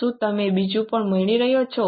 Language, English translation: Gujarati, Are you getting the second one also